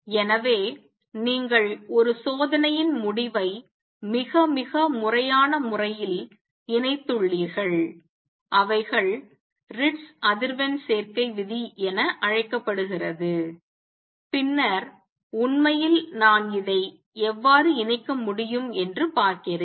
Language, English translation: Tamil, So, you done it very very systematic manner combining an experimental result call they Ritz frequency combination rule, and then really seeing how I could combine this